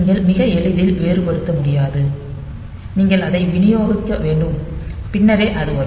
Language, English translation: Tamil, So, you cannot really differentiate very easily so, you have to distribute it and then only it will come